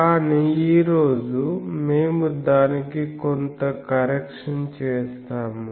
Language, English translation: Telugu, But today, we will make certain correction to that